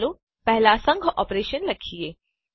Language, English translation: Gujarati, First let us write a union operation